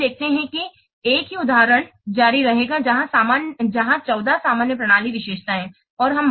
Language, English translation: Hindi, Now let's see that same example will continue where there are suppose 14 general system characteristics